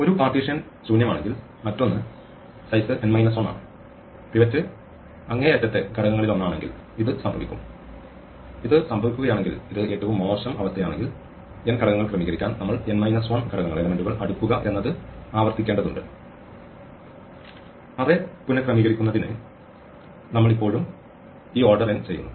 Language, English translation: Malayalam, If one partition is empty, the other one has size n minus 1, this would happen if that the pivot is one of the extreme elements and if this happens and this is the worst case then in order to sort n elements, we have to recursively sort n minus 1 elements and we are still doing this order n work in order to rearrange the array because we do not find this until we have sorted out, gone through the whole array and done the partition